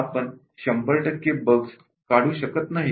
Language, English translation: Marathi, Cannot we remove 100 percent